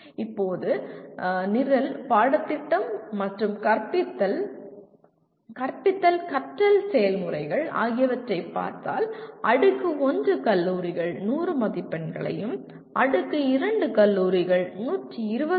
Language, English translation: Tamil, Now coming to program, curriculum and teaching, teaching learning processes, Tier 1 carries 100 marks and Tier 2 carries 120 marks